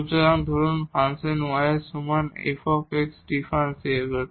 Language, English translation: Bengali, So, suppose the function y is equal to f x is differentiable